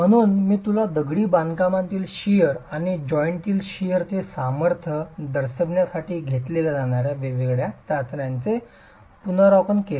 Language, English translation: Marathi, So, I gave you an overview of the different tests that are conducted to characterize shear strength of masonry and shear strength of the joints